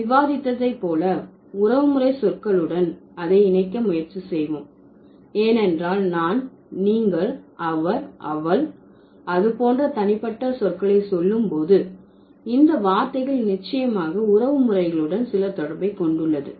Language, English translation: Tamil, So, I'll try to link it with the kinship terms as we have discussed because when when we say personal pronouns like I, you, he, she, it, so it definitely has certain connection with the kinship terms